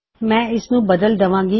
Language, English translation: Punjabi, Ill change this